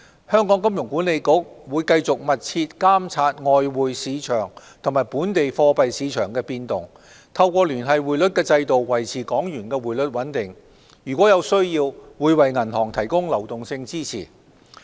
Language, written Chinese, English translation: Cantonese, 香港金融管理局會繼續密切監察外匯市場及本地貨幣市場的變動、透過聯繫匯率制度維持港元匯率穩定，如有需要，會為銀行提供流動性支持。, The Hong Kong Monetary Authority HKMA will continue to closely monitor changes in the foreign exchange market and the local money market maintain the stability of the Hong Kong dollar exchange rate through the Linked Exchange Rate System and provide liquidity support to banks if necessary